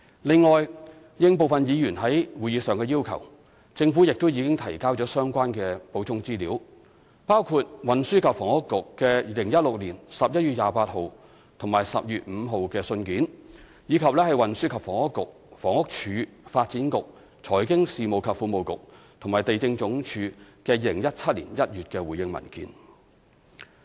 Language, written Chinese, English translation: Cantonese, 另外，應部分議員在會議上的要求，政府亦已提交相關補充資料，包括運輸及房屋局2016年11月28日及12月5日的信件，以及運輸及房屋局/房屋署、發展局、財經事務及庫務局和地政總署在2017年1月的回應文件。, Moreover in response to the requests of some members made at the meetings the Government had also provided relevant supplementary information including letters of the Transport and Housing Bureau dated 28 November and 5 December 2016 and the response papers from the Transport and Housing BureauHousing Department Development Bureau Financial Services and the Treasury Bureau and Lands Department in January 2017